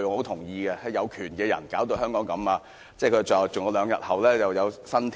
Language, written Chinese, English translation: Cantonese, 他說，是有權的人把香港弄成這樣，並說兩天後就有新天。, He said it was the people in power who caused Hong Kong to come to such a pass and a new era would dawn in two days